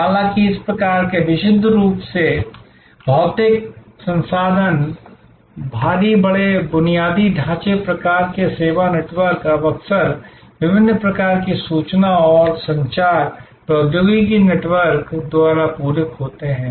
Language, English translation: Hindi, However, these kinds of purely physical, resource heavy, big infrastructure type of service networks are now often complemented by different kinds of information and communication technology networks